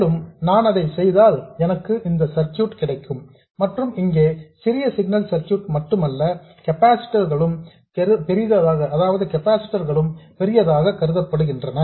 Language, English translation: Tamil, And if I do that as well, this is the circuit I get and here it is not just the small signal circuit, the capacitors are also assumed to be large